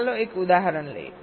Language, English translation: Gujarati, lets take an example